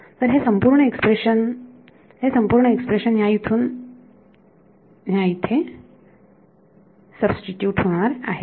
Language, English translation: Marathi, So, this whole expression right this whole expression over here is going to get substituted into here